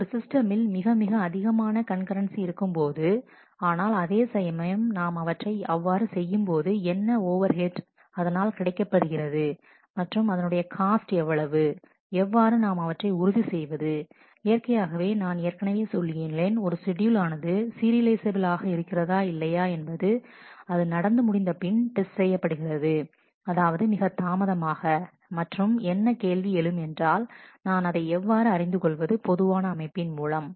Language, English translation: Tamil, The more we would like to allow for more and more concurrence in the system, but at the same time we will need to have to see what is the overhead of that what is the cost of that what how do we have to ensure those and, naturally as we I have already said testing for a scheduled to be serializable after it has happened is; obviously, too late and the question is beforehand how do I get to know it in a general setting